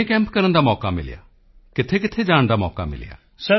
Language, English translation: Punjabi, How many camps you have had a chance to attend